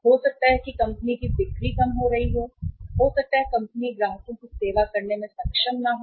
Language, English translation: Hindi, Maybe the company is losing sales or maybe the company is, is not able to serve the the clients